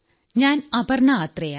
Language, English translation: Malayalam, I am Aparna Athare